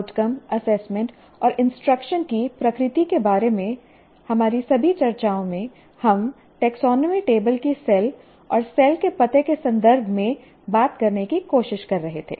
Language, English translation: Hindi, So, all our discussions about the nature of outcome, assessment and instruction, we were trying to talk in terms of the cells of taxonomy table and the address of the cell